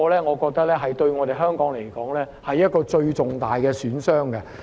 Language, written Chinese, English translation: Cantonese, 我覺得這對香港而言是最重大的損傷。, I think this will be the greatest damage to Hong Kong